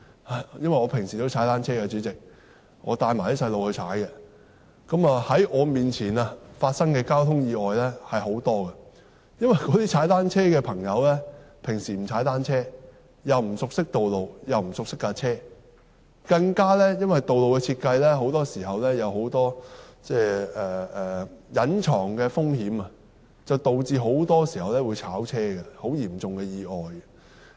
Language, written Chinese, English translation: Cantonese, 代理主席，我平時會與子女一起踏單車，在我面前發生的交通意外有很多，因為有些踏單車的人平時都不踏單車，不熟悉道路及單車屬性，更因為道路設計有很多隱藏的風險，導致很多時候會撞車，造成很嚴重的意外。, Deputy President I cycle with my children and I have witnessed many traffic accidents . Accidents happen because some cyclists do not cycle often and are unfamiliar with the road conditions and the functions of their bicycles . In addition the hidden risks in the design of some roads often cause collisions resulting in very serious accidents